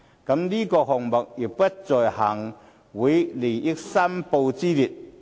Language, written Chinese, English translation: Cantonese, 再者，這個項目亦不在行政會議利益申報之列。, Besides the payment is not within the scope of declarable interests of the Executive Council